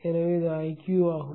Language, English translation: Tamil, So this is IQ